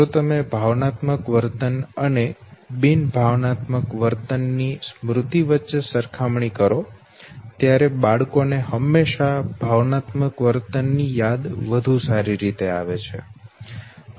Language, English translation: Gujarati, Or if you compare between recollection of a non emotional behavior verses emotional behavior children by default will always have a better recall of emotional behavior